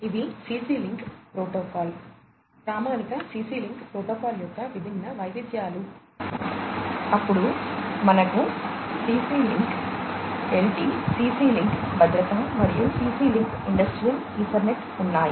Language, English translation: Telugu, So, these are the different variants of the CC link protocol, the standard CC link protocol, then we have the CC link LT, CC link safety, and CC link Industrial Ethernet